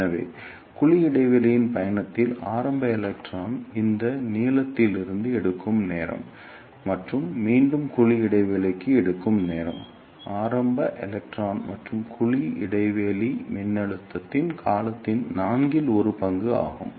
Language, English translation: Tamil, So, time taken by early electron in the journey of cavity gap to this length L e and back to the cavity gap will be the time taken by the early electron plus one fourth of the time period of cavity gap voltage